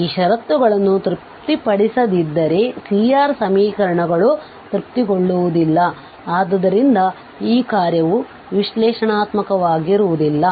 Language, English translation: Kannada, It is clear that if these conditions are not satisfied, if C R equation are not satisfied, then this function is not going to be analytic